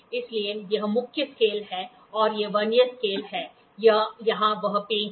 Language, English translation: Hindi, So, this is the main scale and this is the Vernier scale or here is that screw